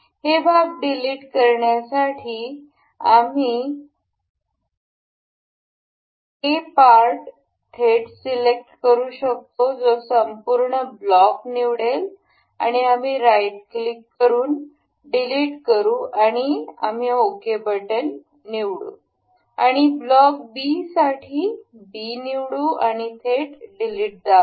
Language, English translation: Marathi, To remove these parts we can directly select the part this A that will select the complete block and we can right click, delete and we will select ok and for block B we will select B and we can directly press delete or yes